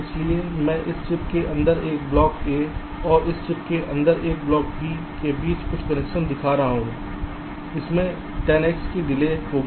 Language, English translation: Hindi, so so a connection between a block a inside this chip and a block b inside this chip, this will incur a delay of ten x